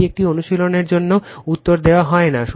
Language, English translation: Bengali, This is an exercise for you that answer is not given right